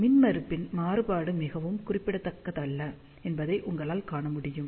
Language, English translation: Tamil, You can see that the variation in the impedance is not very significant